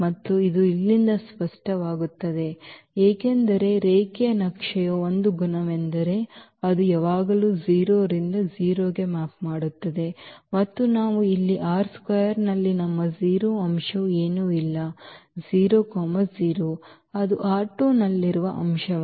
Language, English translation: Kannada, And this is clear from here because one of the properties of the linear map is that it always maps 0 to 0 and we have here in R 2 our 0 element is nothing but 0 comma 0, that is the element in R 2